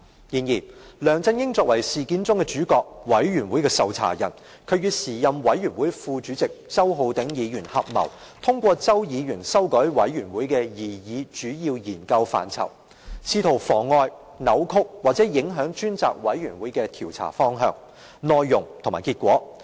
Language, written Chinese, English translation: Cantonese, 然而，梁振英作為事件中的主角、專責委員會的受查人，他與時任專責委員會副主席周浩鼎議員合謀，通過周議員修改專責委員會的擬議主要研究範疇，試圖妨礙、歪曲或影響專責委員會的調查方向、內容和結果。, However as the subject of inquiry LEUNG Chun - ying conspired with Mr Holden CHOW then Deputy Chairman of the Select Committee to amend through Mr CHOW the proposed major areas of study of the Select Committee in an attempt to frustrate deflect or affect the direction course and result of the Select Committees inquiry